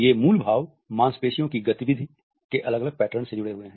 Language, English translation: Hindi, And these basic expressions are associated with distinguishable patterns of muscular activity